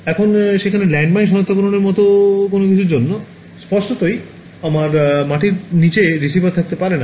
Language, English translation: Bengali, Now for something like landmine detection there; obviously, I cannot have receivers under the ground